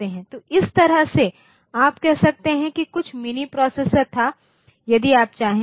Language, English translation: Hindi, So, that way you can say that something was mini processor, so if you like